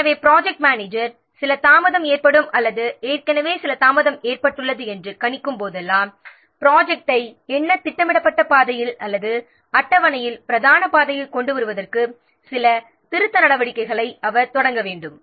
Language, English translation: Tamil, So, whenever the project manager expects predicts that some delay will occur or already some delay has been occurred, then he has to initiate some corrective actions in order to what bring the project into the main track into the what scheduled track or the scheduled duration